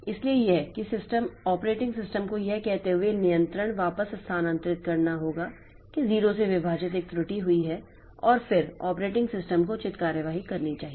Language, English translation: Hindi, So, it must transfer the control back to the operating system telling that a divide by zero error has occurred and then operating system should take appropriate action